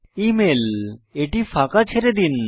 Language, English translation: Bengali, Email– Lets leave it blank